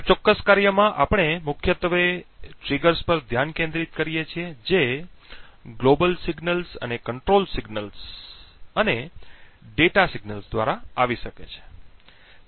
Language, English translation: Gujarati, So, in this particular work we focus mainly on the triggers that could come through the global signals the control signals and the data signals